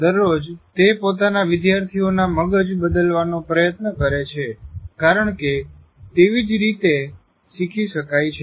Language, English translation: Gujarati, Every day he is trying to change the brain of his students because that is where the learning takes place